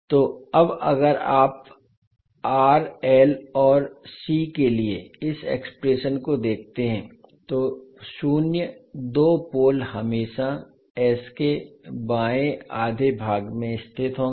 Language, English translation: Hindi, So now if you see this particular expression for r l and c greater than zero two poles will always lie in the left half of s plain